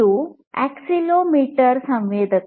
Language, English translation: Kannada, This is an accelerometer sensor, accelerometer